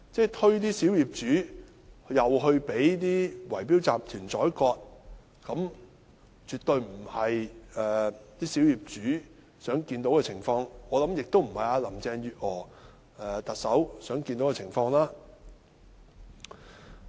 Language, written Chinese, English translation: Cantonese, 再把小業主推出去讓圍標集團宰割，這絕不是小業主想看到的情況，我相信這亦不是特首林鄭月娥想看到的情況。, The minority owners absolutely do not wish to see themselves being exposed to be ripped off by the bid - rigging syndicates . I believe this is not what Chief Executive Carrie LAM wishes to see either